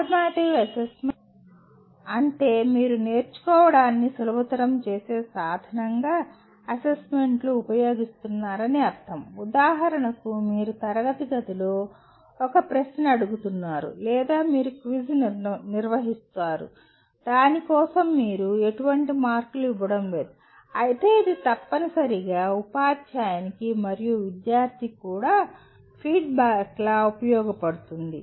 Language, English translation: Telugu, Formative assessment means you are using assessment as a means of facilitating learning like for example you are asking a question in the classroom or you conduct a quiz for which you are not giving any marks but it essentially serves as a feedback both to the teacher as well as the student